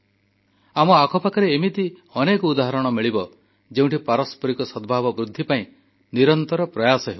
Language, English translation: Odia, If we look around us, we will find many examples of individuals who have been working ceaselessly to foster communal harmony